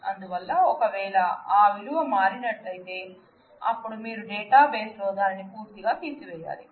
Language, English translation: Telugu, So, if that value changes, then you completely erase that in the database